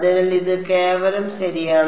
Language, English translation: Malayalam, So, this is simply ok